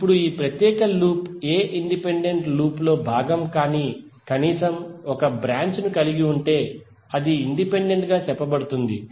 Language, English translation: Telugu, Now this particular loop is said to be independent if it contains at least one branch which is not part of any other independent loop